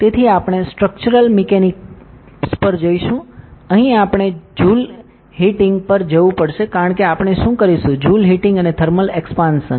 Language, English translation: Gujarati, So, we will go to structural mechanics, here we have to go to joule heating because what we will be doing is, joule heating joule heating and thermal expansion